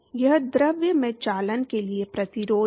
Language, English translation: Hindi, That is the resistance for conduction in the fluid